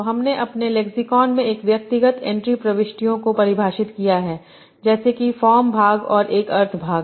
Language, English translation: Hindi, So we have defined an individual entity in my lexicon as having a form part and a meaning part